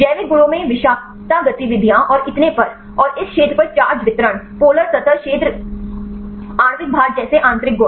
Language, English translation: Hindi, In the biological properties toxicity activities and so on, and the intrinsic properties like charge distribution, polar surface area, molecular weight on this area